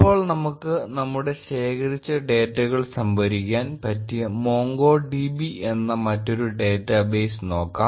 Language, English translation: Malayalam, Now, we will look at another database for storing our collected data, MongoDB